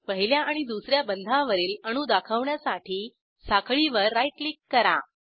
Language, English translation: Marathi, Right click on the chain to display atoms on first and second bond positions